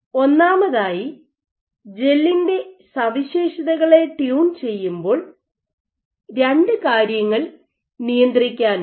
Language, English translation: Malayalam, So, first of all so far as the tuning the properties of the gel is concerned you have two things to control